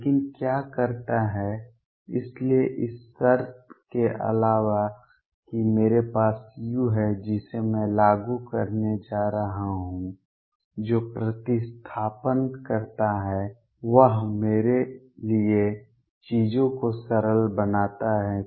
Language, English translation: Hindi, But what is does the; so in addition to this condition that I have on u which I am going to apply what does the substitution does is simplifies things for me